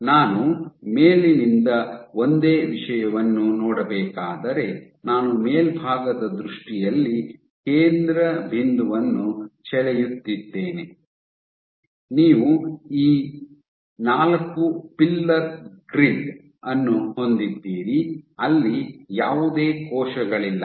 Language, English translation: Kannada, So, as a cause so, if I were to look at the same thing on from the top, what I will get is so, let us say, I just write down the I am drawing the center point in top view, you have this four pillar grid where no cells are there